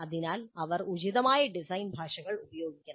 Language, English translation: Malayalam, So they must use appropriate design languages